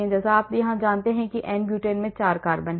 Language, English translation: Hindi, again as you know n Butane has four carbon